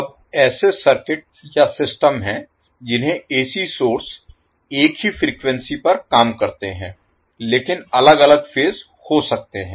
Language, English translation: Hindi, Now, there are circuits or systems in which AC source operate at the same frequency, but there may be different phases So, we call them as poly phase circuit